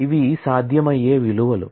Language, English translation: Telugu, So, these are the possible values